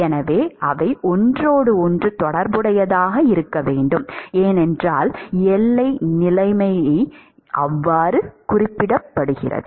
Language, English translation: Tamil, So, they have to be related to each other, because the boundary conditions specifies so